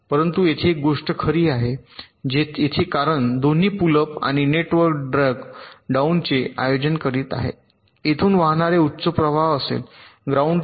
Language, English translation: Marathi, but one thing is true here: here, because both the pull up and pull down networks are conducting, there will be high current that will be flowing from vdd to ground